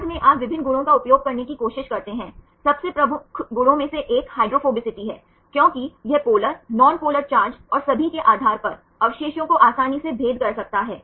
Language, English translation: Hindi, Later on you try to use various properties; one of the most prominent properties is the hydrophobicity, because it can easily distinguish the residues based on polar, nonpolar charged and all